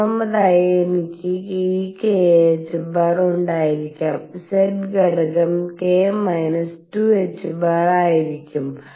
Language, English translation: Malayalam, Third I could have this k h cross and the z component would be k minus 2 h cross